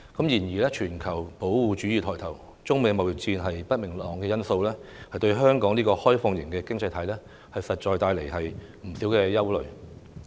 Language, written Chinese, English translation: Cantonese, 然而，全球保護主義抬頭，加上中美貿易戰的不明朗因素，對香港這個開放型經濟體實在帶來不少隱憂。, Nevertheless the emergence of global protectionism and the uncertainties arising from the United States - China trade war bring about a lot of latent concerns to Hong Kong as an open economy